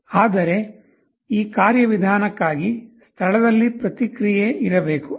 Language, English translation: Kannada, But, for that mechanism there has to be a feedback in place